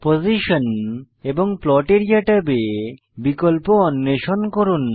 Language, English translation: Bengali, Explore the options in Position and Plot area tabs on your own